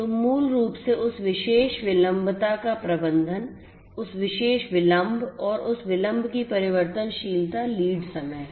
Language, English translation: Hindi, So, basically managing that particular latency, that particular delay and the variability of that delay is what concerns the lead time